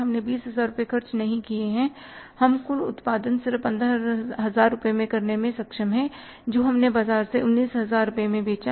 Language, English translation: Hindi, We have spent less, we have not spent 20,000 rupees, we have been able to manufacture the total production which we sold in the market for 19,000 rupees just for 15,000 rupees